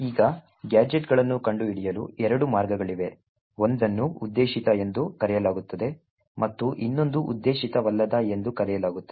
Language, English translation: Kannada, Now there are two ways gadgets can be found one is known as intended and the other is known as unintended